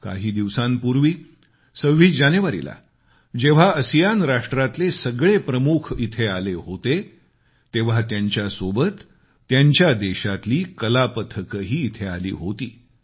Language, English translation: Marathi, A while ago, when distinguished dignitaries of all ASEAN Countries were here on the 26th of January, they were accompanied by cultural troupes from their respective countries